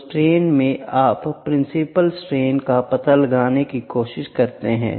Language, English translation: Hindi, So, from the strains you can try to find out the principal stress